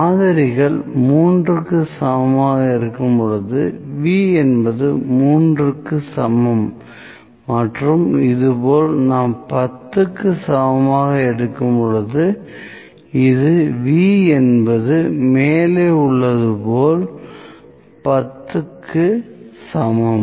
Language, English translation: Tamil, When this is equal to 3 that is for samples this is for V is equal to 3 and we have equal to 10 somewhat like this, this is above V equal to 10